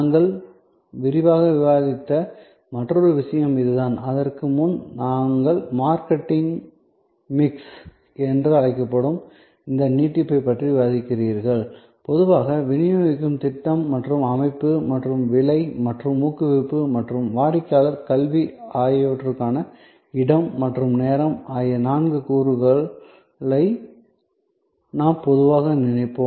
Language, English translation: Tamil, This is the other point that we discussed in detail and before that, you also discussed about this extension of what we call the marketing mix, that in normally we think of this four elements, which is the product, the place and time which is the distributions scheme and system and the price and the promotion and customer education